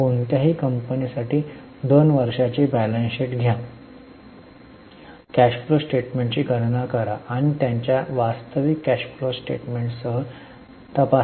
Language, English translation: Marathi, Take two years balance sheet for any company, calculate the cash flow statement and check it with their actual cash flow statement